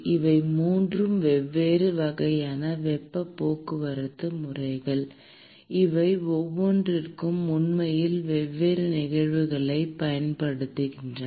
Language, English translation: Tamil, These are 3 different classes of heat transport modes; and each of these actually occur using different phenomenon